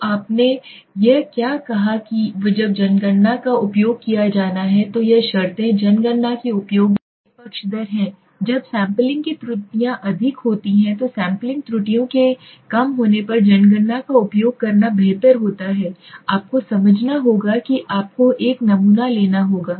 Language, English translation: Hindi, So what did you saying this conditions are favoring the use of census when the census is to used when the sampling errors are high so it is better to use a census when the sampling errors are low you have to understand a you have to take a sample